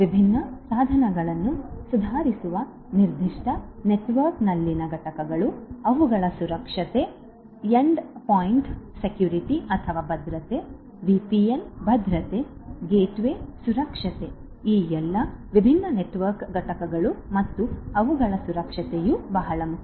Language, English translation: Kannada, Components in a particular network which improves the different devices, their security endpoint security, VPN security, you know the gateway security all of these different network components and their security are very important